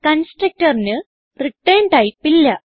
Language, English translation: Malayalam, Constructor does not have a return type